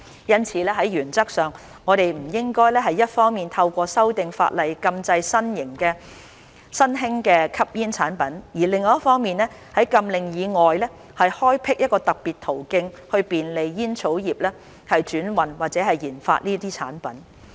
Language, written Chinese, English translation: Cantonese, 因此，在原則上，我們不應一方面透過修訂法例禁制新興的吸煙產品，另一方面在禁令以外開闢特別途徑便利煙草業轉運或研發這些產品。, Therefore as a matter of principle we should not ban new smoking products through legislative amendments on the one hand and create special avenues outside the ban to facilitate the tobacco industrys transhipment or development of these products on the other